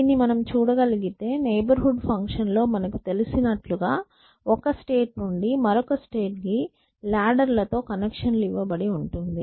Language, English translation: Telugu, you can say think of the neighborhood function as you know giving you connection with ladles from one state to another state so on